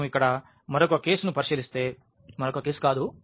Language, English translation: Telugu, If we consider another case here for are not the another case